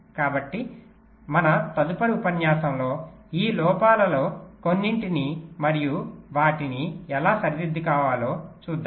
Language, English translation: Telugu, so in our next lecture we shall be looking at some of these draw backs and how to rectify them